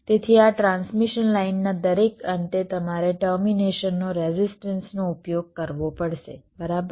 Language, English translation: Gujarati, so at the each of the end of this transmission line you can, you have to use a resistance for termination, right